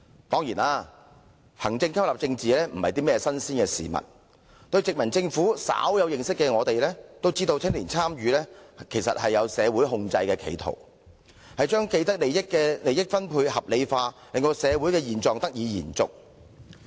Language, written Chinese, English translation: Cantonese, 當然，行政吸納政治非新鮮事，只要對殖民政府稍有認識的都知道，青年參與其實包含社會控制的企圖，把既得利益者的利益分配合理化，令社會現狀得以延續。, Of course there is nothing new about administrative absorption of politics . Anyone who has a little knowledge about the colonial government should understand that the motive embedded in youth participation is actually the control over society which seeks to rationalize the sharing of interests among people with vested interests to maintain the status quo